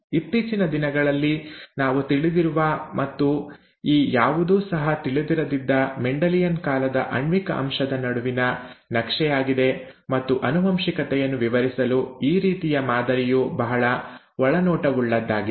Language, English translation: Kannada, This is the mapping between a molecular aspect that we know of nowadays to the olden times, the Mendelian times, when nothing of this was known, and it is very insightful to come up with this kind of a model to explain inheritance